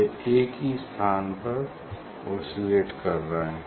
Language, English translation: Hindi, it is the oscillating in same place it is oscillating